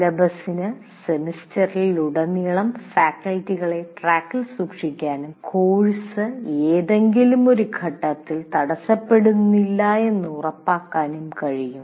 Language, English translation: Malayalam, And as I already said, syllabus can also keep track, keep faculty on track throughout the semester and help ensure the course does not stall at any one point